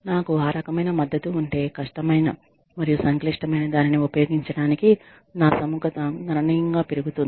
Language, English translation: Telugu, Now, if i have, that kind of support, my willingness to use, something difficult, something complicated, will go up, significantly